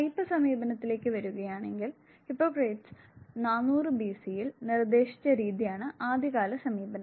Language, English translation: Malayalam, Coming to the type approach the earliest now approach was what was proposed by Hippocrates 400 B